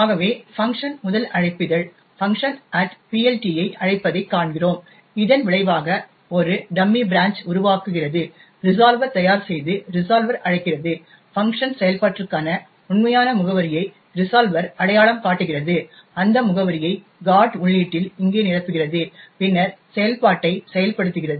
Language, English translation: Tamil, Thus we see that the first invocation of the func invokes func at PLT which in turn just makes a dummy branch to this, prepares the resolver and calls the resolver, the resolver identifies the actual address for the func function, fills that address in the GOT entry over here and then invokes the function